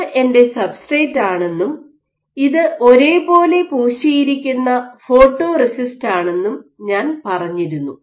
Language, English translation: Malayalam, So, as I said that onto your substrate this is my substrate and this is the uniform photoresist which is being exposed